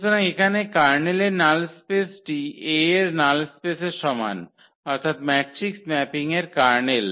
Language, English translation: Bengali, So, here the null space in the form of the kernels is same as the null space of a that is the kernel of the matrix mapping